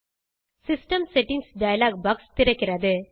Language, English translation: Tamil, The System Settings dialog box opens up